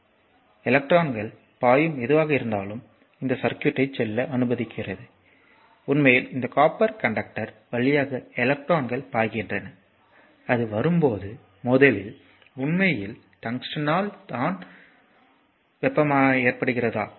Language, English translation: Tamil, So, whatever that electrons flow just let me go to this circuit just hold on, is that actually electrons is flowing through this copper conductor, when it come to that is at collision actually we that of the tungsten and therefore, it is causing as you know heat